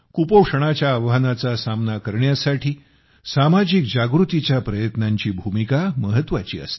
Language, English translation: Marathi, Efforts for social awareness play an important role in tackling the challenges of malnutrition